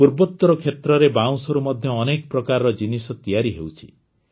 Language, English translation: Odia, Many types of products are made from bamboo in the Northeast